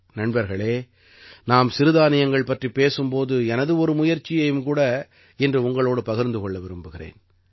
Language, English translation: Tamil, Friends, when I talk about coarse grains, I want to share one of my efforts with you today